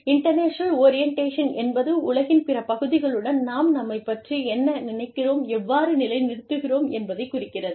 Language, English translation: Tamil, International orientation refers to, how we situate ourselves, what we think of ourselves, in relation to the, rest of the world